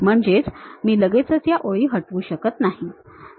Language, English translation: Marathi, I cannot straight away delete the lines and so on